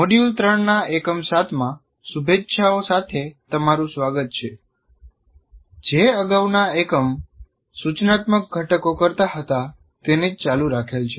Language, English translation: Gujarati, Greetings and welcome to module 3, unit 7, which is actually continuation of the previous unit where we were talking about instructional components